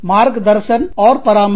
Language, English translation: Hindi, Guide and advise